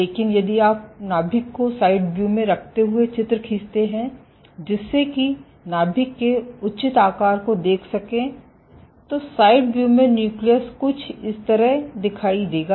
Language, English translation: Hindi, So, if I draw a cell with a nucleus in side view accounting for its proper shape and size the nucleus will look something like this